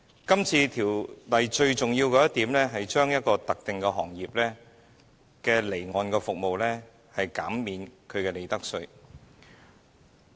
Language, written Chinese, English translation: Cantonese, 今次《條例草案》最重要的一點是，向一個特定行業的離岸服務提供寬減利得稅的優惠。, The most important feature of this Bill is to provide profits tax concessions to the offshore services of a certain trade